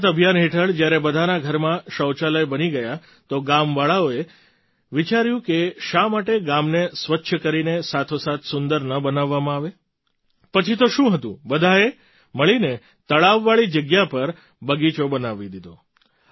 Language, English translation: Gujarati, Under the Swachh Bharat Abhiyan, after toilets were built in everyone's homes, the villagers thought why not make the village clean as well as beautiful